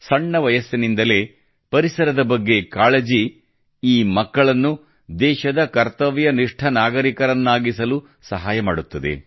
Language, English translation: Kannada, This awareness towards the environment at an early age will go a long way in making these children dutiful citizens of the country